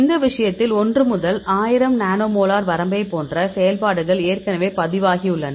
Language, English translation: Tamil, So, in this case we have the actives already reported like the 1 to 1000 nanomolar range